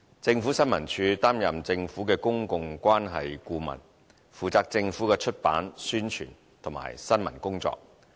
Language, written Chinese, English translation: Cantonese, 政府新聞處擔任政府的公共關係顧問，負責政府的出版、宣傳和新聞工作。, ISD serves as the Governments public relations consultant publisher advertising agent and news agency